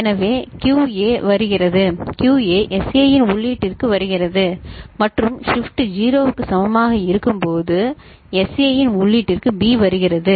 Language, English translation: Tamil, So, then QA is coming, QA is coming to the input of SA and when shift is equal to 0, B is coming to the input of SA ok